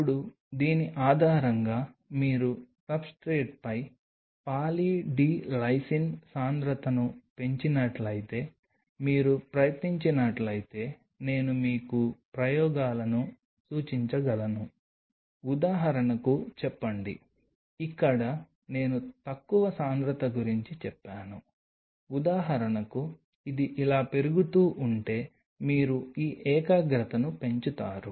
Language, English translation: Telugu, Now, based on this I can suggest you experiments if you try if you increase the concentration of Poly D Lysine on the substrate say for example, here I say about low concentration say for example, you increase this concentration if it keeps on increasing like this